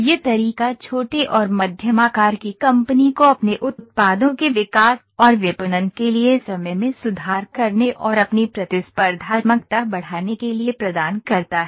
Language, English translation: Hindi, This way offers to small and medium sized company’s enormous potential for improving the time to develop and market their products and for increasing their competitiveness